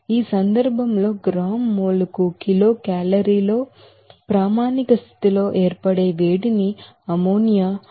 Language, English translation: Telugu, In this case, heat of formation at standard condition in kilocalorie per gram mole is given as for ammonia 11